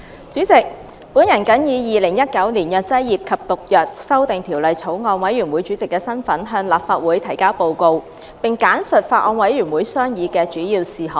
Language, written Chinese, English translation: Cantonese, 主席，我謹以《2019年藥劑業及毒藥條例草案》委員會主席的身份，向立法會提交報告，並簡述法案委員會商議的主要事項。, President in my capacity as Chairman of the Bills Committee on Pharmacy and Poisons Amendment Bill 2019 I now submit the report to the Legislative Council and briefly address the Council on the major deliberations of the Bills Committee